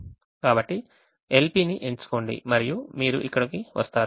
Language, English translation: Telugu, so select simplex l p and that is what you get here